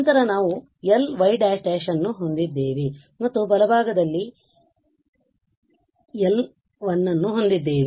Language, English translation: Kannada, Then we have L y and the right hand side we have L 1